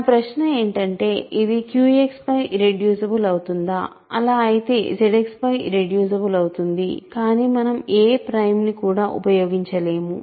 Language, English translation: Telugu, So, again, I my question is: is it irreducible over Q X, if so it will be irreducible over Z X, but we cannot use no prime works, right